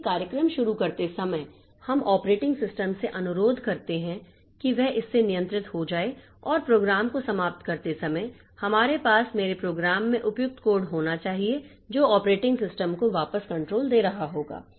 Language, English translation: Hindi, So, while starting the program, the operating system we request the operating system to get control from it and while transmitting the program we should have appropriate code in my program which will be giving the control back to the operating system